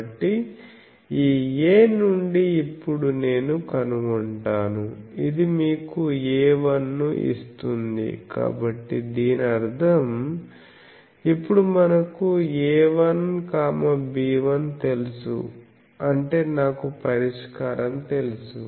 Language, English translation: Telugu, This you can take as an exercise this gives you A 1 so that means, now we know A 1, B 1 so that means I know the solution